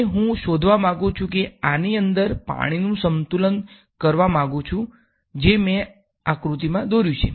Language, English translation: Gujarati, And I want to find out how much I want to do a balance of the water inside this so this diagram that I have drawn